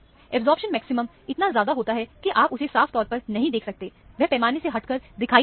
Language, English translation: Hindi, The absorption maximum is so high that, you do not see it very clearly; it goes beyond the scale that is shown here